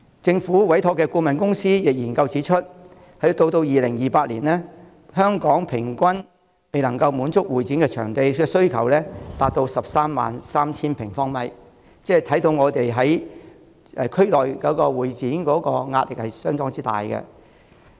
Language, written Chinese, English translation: Cantonese, 政府委託進行的顧問公司研究指出，到2028年，本港平均未能滿足的會展場地需求達 133,000 萬平方米，可以看到香港在會展場地方面的壓力相當大。, As pointed out in a consultancy study commissioned by the Government the average unmet demand for CE venues in Hong Kong will reach 133 000 sq m by 2028 thus showing immense pressure for such venues in Hong Kong